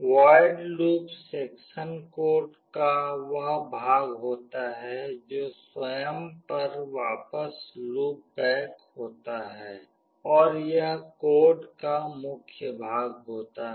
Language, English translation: Hindi, The void loop section is the part of the code that loops back onto itself and it is the main part of the code